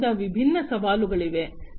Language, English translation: Kannada, So, there are different challenges as well